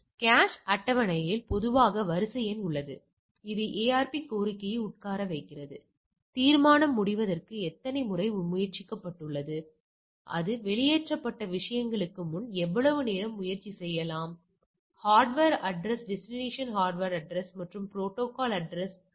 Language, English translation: Tamil, So, cache table typically contained a queue number which queue the ARP request is sitting in, attempts how many times have it has been tried for the resolution timeout, how long you can go on trying before the things that it is flushed out, hardware address destination hardware address and protocol address the IP address